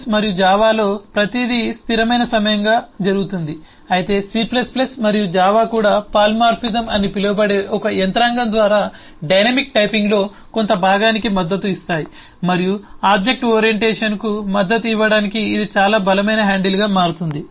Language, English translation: Telugu, but eh, c plus plus and java also support part of dynamic typing through a mechanism called polymorphism and, as will see, that will become a very strong handle to support object orientation